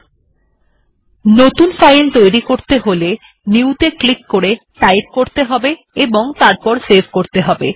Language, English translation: Bengali, If you want to create a file, click new, type and save